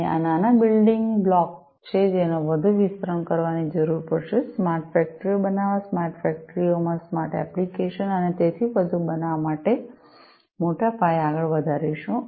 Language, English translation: Gujarati, And this is the small building block, which will be required to be expanded further; extended further in larger scale to build smart factories, smart applications in smart factories and so on